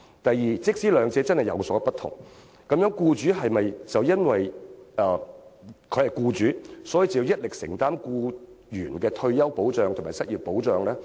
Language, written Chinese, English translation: Cantonese, 第二，即使兩者真的有所不同，是否便要僱主一力承擔僱員的退休保障和失業保障？, Second even if the purposes of the two benefits are really different do employers have to bear the entire burden to provide retirement protection and unemployment protection to employees?